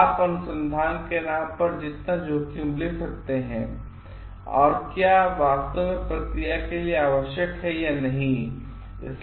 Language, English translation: Hindi, So, how much risk you can take in the name of research whether it is actually required for the process or not